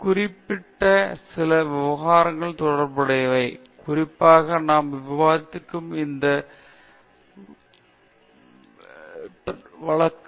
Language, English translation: Tamil, So, all these are some of the specific issues pertaining to this particular case, which we have discussed